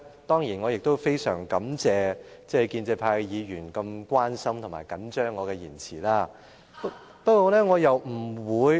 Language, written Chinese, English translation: Cantonese, 當然，我亦很感謝建制派議員這麼關心及緊張我的言詞。, Certainly I also wish to thank pro - establishment Members for showing such concern and care about my speech